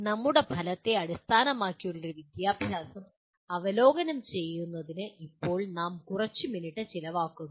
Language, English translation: Malayalam, Now we spend a few minutes to review the our Outcome Based Education